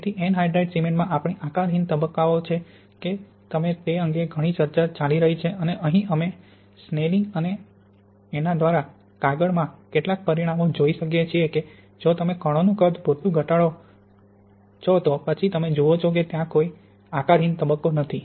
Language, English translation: Gujarati, So it has been a lot of debate about whether we have amorphous phases in unhydrated cement and here we can see some results by a paper by Snellingx and myself that if you reduce the particle size enough then you see really there is no amorphous phase